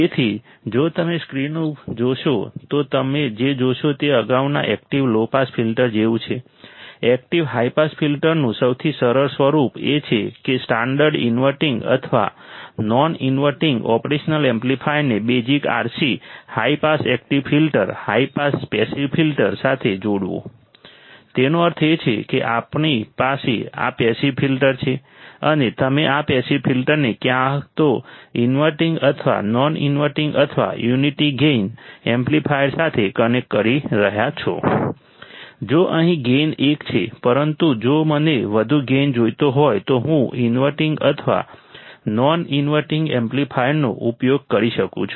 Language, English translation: Gujarati, So, if you see the screen what you will see is like the previous active low pass filter the simplest form of active high pass filter is to connect a standard inverting or non inverting operational amplifier to a basic RC high pass active filter ,high pass passive filter; that means, we have this passive filter and you are connecting this passive filter to either inverting or non inverting or unity gain amplifier, If here the gain is one, but if I want a higher gain I can use inverting or non inverting amplifier here we are using unity gain amplifier